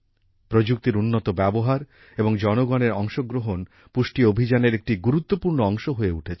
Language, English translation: Bengali, Better use of technology and also public participation has become an important part of the Nutrition campaign